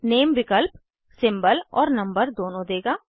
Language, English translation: Hindi, Name option will give both symbol and number